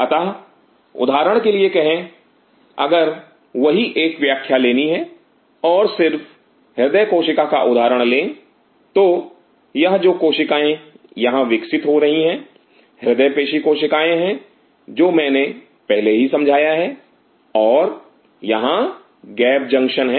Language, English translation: Hindi, So, say for example, if to take the same explain again and just take the example of the cardiac cell or So, these cells which are growing out here a cardiac monoxide which I have already explained earlier and here are the gap junctions